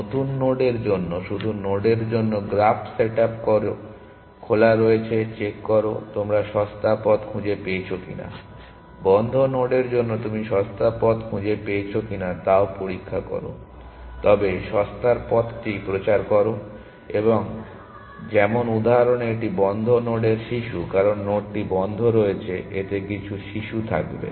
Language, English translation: Bengali, For new nodes just set up the graph for nodes are opened check if you have found the cheaper path; for nodes on closed also check whether you have find found cheaper paths, but also propagate the cheaper path like that example to it is the children of the closed node, because the node is on closed it will have some children